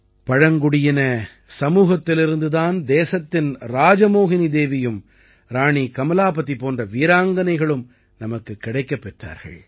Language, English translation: Tamil, It is from the tribal community that the country got women brave hearts like RajMohini Devi and Rani Kamlapati